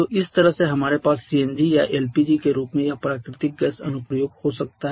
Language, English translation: Hindi, So, this way we can have this natural gas application in the pharmacy in your LPG